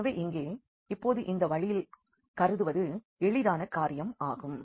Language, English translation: Tamil, So, here now this it is easy to consider now in this way